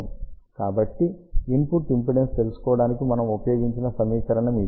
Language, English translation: Telugu, So, this is the equation which we have used to find out the input impedance